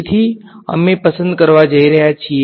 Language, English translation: Gujarati, So, we are going to choose